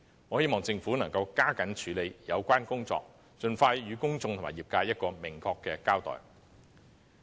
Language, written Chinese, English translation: Cantonese, 我希望政府能加緊處理相關工作，盡快向公眾和業界作出明確的交代。, I hope the Government can step up its efforts in handling the relevant work and give a clear account to the public and the sector as soon as possible